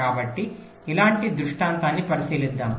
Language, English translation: Telugu, so let us look at a scenario like this